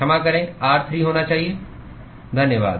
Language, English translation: Hindi, r2L, sorry should be r3, thanks